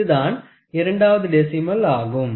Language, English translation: Tamil, So, it is the second decimal